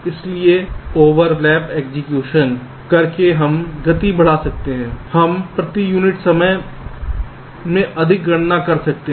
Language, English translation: Hindi, so by using pipe lining we can have speed up, we can have more computation per unit time